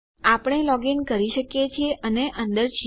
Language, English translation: Gujarati, We can login and we are in